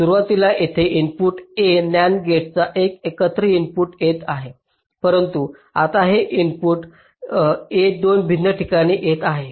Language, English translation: Marathi, initially this input a was coming to this single input of nand gate, but now this input a must come to two different places